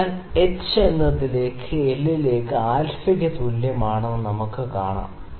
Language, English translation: Malayalam, So, also we can see that h is equal to L into alpha